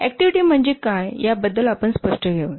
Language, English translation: Marathi, Let us be clear about what is an activity